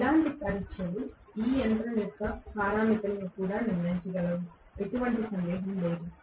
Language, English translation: Telugu, Similar tests are going to be able to determine the parameters for this machine as well, no doubt